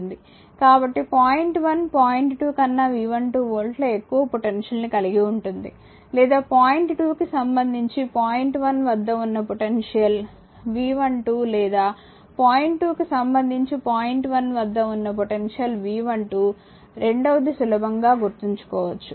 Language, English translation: Telugu, So; that means, point 1 is at a potential of V 12 volts higher than point 2 or the potential at point 1 with respect to point 2 is V 12 or the potential at point 1 with respect to point 2 is V 12 second one easy at to remember right